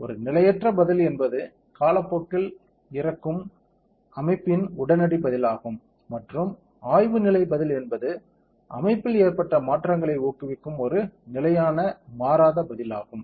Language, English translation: Tamil, A transient response it is a immediate response of the system which dies down over time and the study state response is the one that is a stable non changing response of that imbibes the changes that have occurred to the system